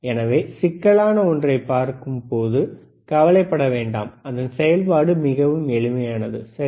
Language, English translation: Tamil, So, do not worry when you look at something which is complex the operation is really simple, all right